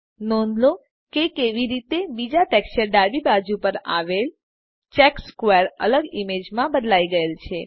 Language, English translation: Gujarati, Notice how the checkered square on the left of the second texture has changed to a different image